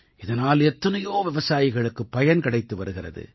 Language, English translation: Tamil, So many farmers are benefiting from this